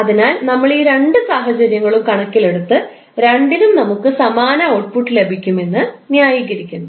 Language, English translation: Malayalam, So we are taking both of the cases and we will justify that in both of the cases we will get the same output